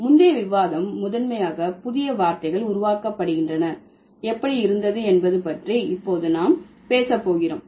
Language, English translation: Tamil, The previous discussion was primarily about how the new words are created and now we are going to talk about how the meaning has been changed